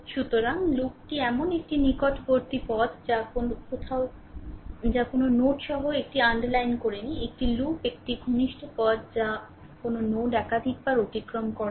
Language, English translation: Bengali, So, a loop is a close path with no node I have underlined this, a loop is a close path with no node passed more than once